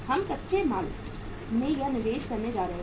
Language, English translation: Hindi, We are going to have this investment in the raw material